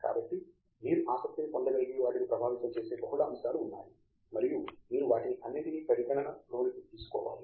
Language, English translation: Telugu, So, there is multiple factors that influence what you may get interested in and you should take all of those into account